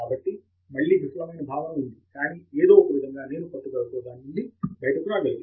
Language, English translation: Telugu, So there again a sense of failing was there, but somehow I was able to come out of it by persisting